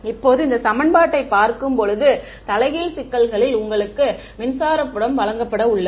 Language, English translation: Tamil, Now, inverse problem looking at this equation is you are going to be given the electric field